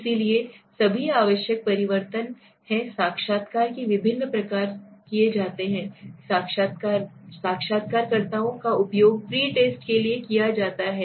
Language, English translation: Hindi, So all are necessary changes are made variety of interviews, interviewers are used for the pre test right